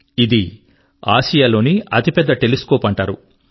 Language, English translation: Telugu, This is known as Asia's largest telescope